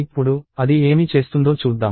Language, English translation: Telugu, Now, let us see what it is doing